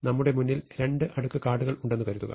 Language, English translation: Malayalam, Supposing we have two stacks of cards in front of us